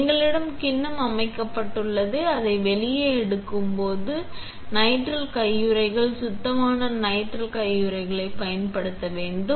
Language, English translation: Tamil, We have the bowl set itself, when we take it out, we need to use nitrile gloves, clean nitrile gloves